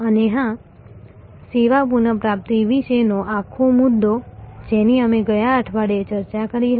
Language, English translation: Gujarati, And of course, the whole issue about service recovery, that we discussed last week